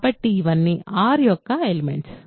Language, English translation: Telugu, So, these are all elements of R